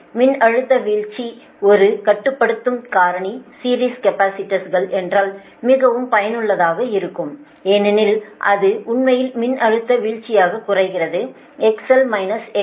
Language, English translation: Tamil, now, if voltage drop is a limiting factor, series capacitors are very effective because its actually reduce the voltage drop, x, l minus x c